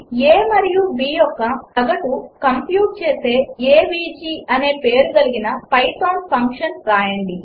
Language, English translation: Telugu, Write a python function named avg which computes the average of a and b